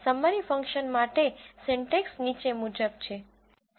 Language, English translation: Gujarati, The syntax for this summary function is as follows